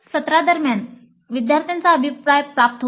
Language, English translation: Marathi, The student feedback is obtained during the session